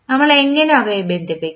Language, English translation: Malayalam, How we will connect them